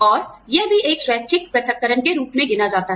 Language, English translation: Hindi, And, that also counts as, a voluntary separation